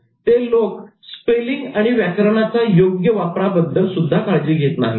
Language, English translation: Marathi, They didn't bother about spelling and grammar also